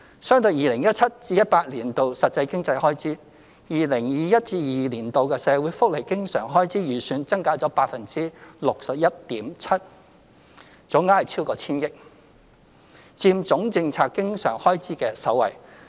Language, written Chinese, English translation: Cantonese, 相對 2017-2018 年度實際經常開支 ，2021-2022 年度的社會福利經常開支預算增加了 61.7%， 總額超過千億元，佔政策經常開支的首位。, Totalling over 100 billion the estimated recurrent expenditure on social welfare for 2021 - 2022 represents an increase of 61.7 % over the actual recurrent expenditure in 2017 - 2018 making social welfare the largest recurrent expenditure item among all policy area groups